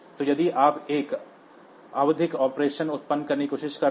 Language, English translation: Hindi, So, if you are trying to generate a periodic operation